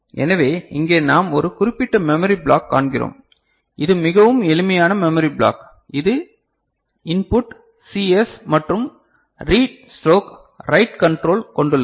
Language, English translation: Tamil, So, here we see a particular memory block is a very simple memory block right, which is having a control you know input CS and read stroke write